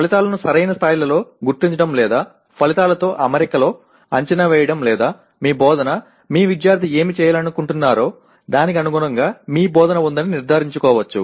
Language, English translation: Telugu, Either locating the outcomes at the right level or making the assessment in alignment with outcomes or planning instruction making sure that your instruction is in line with what you wanted your student to be able to do